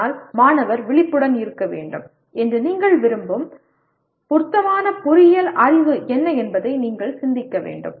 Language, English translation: Tamil, But you have to think in terms of what is the relevant engineering knowledge that you want the student to be aware of